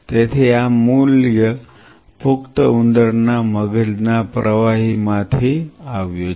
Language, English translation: Gujarati, So, this value has come from cerebrospinal fluid of an adult rat